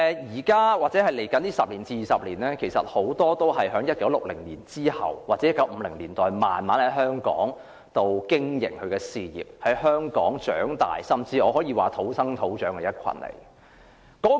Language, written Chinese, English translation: Cantonese, 現在或未來十多二十年的長者，很多是生於1960年或1950年代，在香港慢慢經營他們的事業，在香港長大，甚至可以說是土生土長的一群。, The elderly persons now or in the coming 10 to 20 years are mostly born in the 1960s or 1950s . They gradually built up their business; they grew up in Hong Kong and they are truly born and raised up here